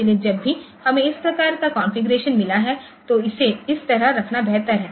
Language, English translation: Hindi, So, whenever we have got this type of configuration so it is better to have it like this